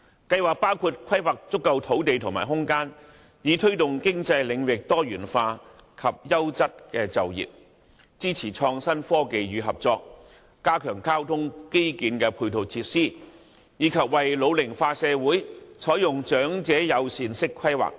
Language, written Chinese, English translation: Cantonese, 計劃包括規劃足夠土地和空間，以推動經濟領域多元化及優質就業；支持創新科技與合作；加強交通基建的配套設施；以及為老齡化社會採用長者友善式規劃等。, Specific proposals include planning for adequate land and space to ensure the diversity of economic sectors with quality jobs; supporting innovation technology and collaboration; strengthening the support of transport infrastructure; and adopting the concept of age - friendly planning for our ageing society